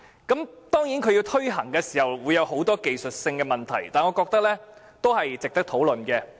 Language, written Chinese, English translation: Cantonese, 這政策推行時會有很多技術性的問題，但我覺得仍值得討論。, Though many technical problems will be involved in the implementation of this policy I still consider it worthy of our discussion